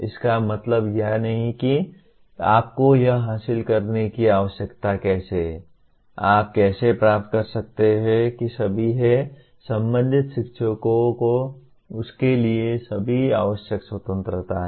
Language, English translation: Hindi, It does not mean how you need to achieve that, how you can achieve that is all the, the concerned teacher has all the required freedom for that